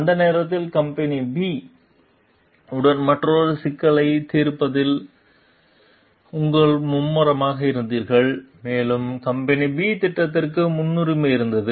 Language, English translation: Tamil, You were busy resolving another issue with company B at the time and the company B project had priority